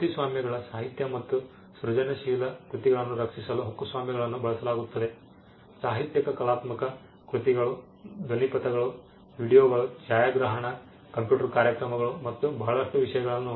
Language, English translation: Kannada, Copyrights: copyrights are used to protect literary and creative works, literary artistic works soundtracks videos cinematography computer programs and a whole lot of things